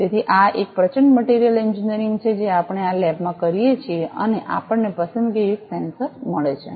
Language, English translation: Gujarati, So, this is a tremendous materials engineering we do in this lab and we get a selective sensor